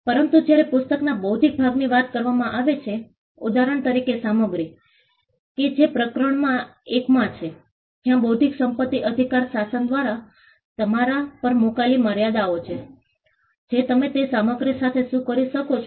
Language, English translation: Gujarati, But when it comes to the intellectual part of the book, for instance, content that is in chapter one there are limitations put upon you by the intellectual property rights regime as to what you can do with that content